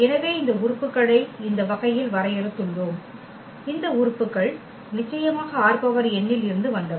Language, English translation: Tamil, So, in this way we have defined these elements these elements are from R n of course